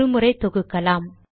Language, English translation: Tamil, So let us compile once again